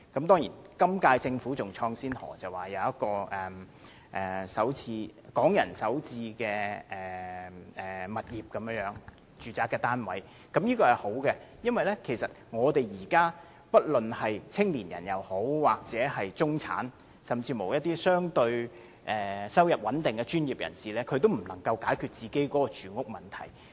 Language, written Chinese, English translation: Cantonese, 當然，今屆政府更開創先河，推出港人首次置業的住宅單位，我認為這項計劃很好，因為現時不論是年青人或中產人士，甚至一些收入相對穩定的專業人士，也不能夠解決住屋問題。, Certainly the current - term Government has unprecedentedly introduced Starter Homes units for Hong Kong residents . I think this scheme is very good because young people and the middle - class people and even professionals with relatively stable incomes are unable to solve their housing problem now